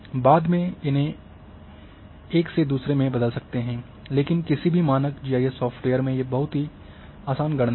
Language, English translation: Hindi, Later on also one can transform from one to another, but this is very easy calculation in any standard GIS software